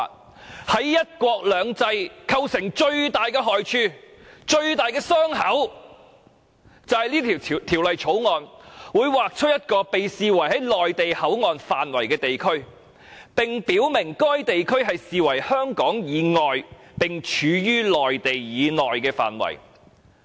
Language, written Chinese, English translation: Cantonese, 《條例草案》將對"一國兩制"造成極大的害處和傷口，因為香港將會劃出一個被視為內地口岸範圍的地區，而該地區將被視為處於香港以外並處於內地以內的範圍。, The Bill will inflict serious blows and harms to one country two systems as a part of Hong Kong will be designated as the Mainland Port Area MPA which will be regarded as an area lying outside Hong Kong but lying within the Mainland